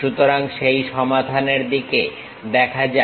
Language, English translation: Bengali, So, let us look at that solution